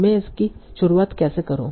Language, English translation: Hindi, Now how do I start